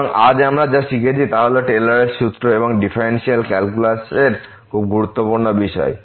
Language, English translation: Bengali, So, what we have learnt today is the Taylor’s formula and very important topic in the differential calculus